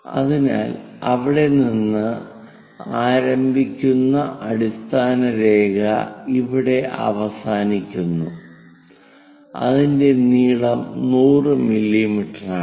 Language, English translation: Malayalam, So, the baseline begins here ends here, which is 100 millimeters 100 millimeters is baseline